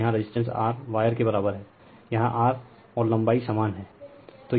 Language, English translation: Hindi, And the resistance here is R same wire, so here is R and same length